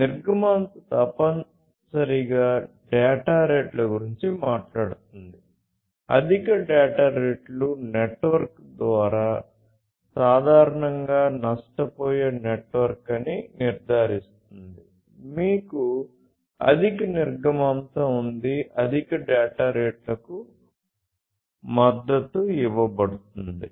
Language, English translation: Telugu, So, throughput essentially we are talking about the data rates, high data rates ensuring that through the network which is typically a lossy network; you have higher throughput, higher data rates that can be supported